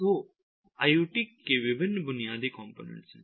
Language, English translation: Hindi, so these are the different basic components of iot